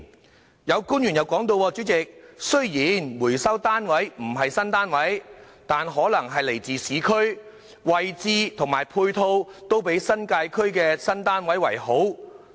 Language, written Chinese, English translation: Cantonese, 主席，有官員提到，雖然回收單位不是新單位，但可能位於市區，位置及配套均比新界區的新單位好。, President some government officials said although the recovered units are not new ones they may be located in the urban areas in which case the location and ancillary facilities may be better than those in the New Territories